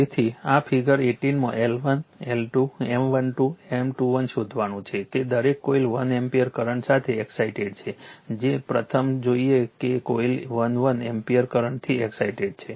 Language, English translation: Gujarati, So, you have to find out this is figure 18, L 1, L 2, M 1 2, M 2 1 each coil is excited with 1 ampere current first will see that coil 1 is excited with 1 ampere current right